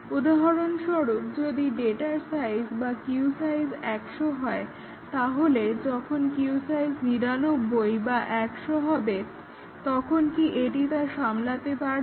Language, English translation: Bengali, For example, let us say if the size of the data, that is, queue size is 100, does it handle when there is queue size of 99 or 100